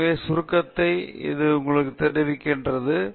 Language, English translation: Tamil, So, the summary conveys that to you